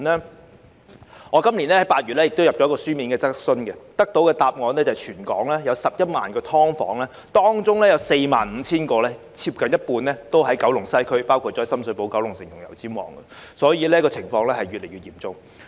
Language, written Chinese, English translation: Cantonese, 就我今年8月提交的一項書面質詢，政府回覆指全港有11萬個"劏房"，當中有 45,000 個位於九龍西，包括深水埗、九龍城和油尖旺區，可見情況越來越嚴重。, In response to a written question I submitted in August this year the Government advised that there were 110 000 SDUs in Hong Kong of which 45 000 nearly half were located in Kowloon West including Sham Shui Po Kowloon City and Yau Tsim Mong districts . This shows that the situation is deteriorating